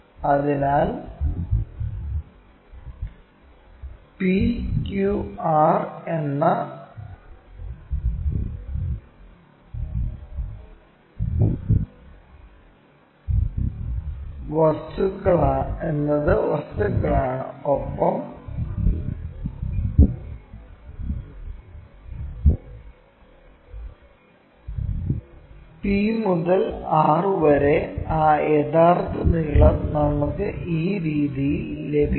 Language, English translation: Malayalam, So, p q r are the things and what about the p to r that true length we will get it in this way